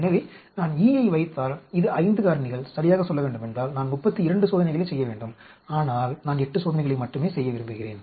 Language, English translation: Tamil, So, if I put E that is 5 factors, ideally I should be doing 32 experiments, but I want to do only 8 experiments